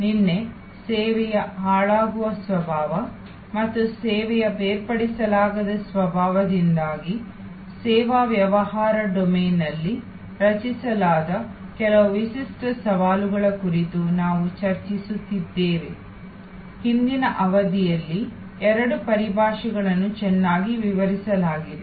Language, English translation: Kannada, Yesterday, we were discussing about some unique challenges created in the service business domain due to the perishable nature of service and due to inseparable nature of service, both terminologies have been well explained in the previous sessions